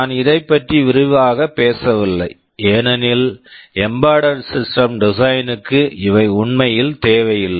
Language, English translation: Tamil, I am not going into detail of this because for an embedded system design, these are not really required